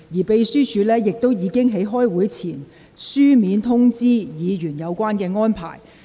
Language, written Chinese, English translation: Cantonese, 秘書處在會議前已書面通知議員有關安排。, The Secretariat has informed Members in writing of the said arrangements before the meeting